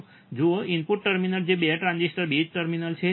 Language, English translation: Gujarati, See, the input terminals which are the base terminals of 2 transistor